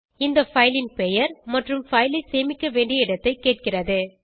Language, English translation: Tamil, It prompts for filename and location in which the file has to be saved